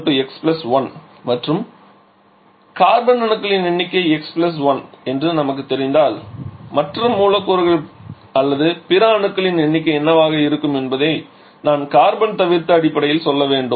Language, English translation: Tamil, Therefore number of carbon is x + 1 and what is the when we know that number of carbon is x + 1 what will be the number of other molecules or other atoms I should say that excluding carbon basically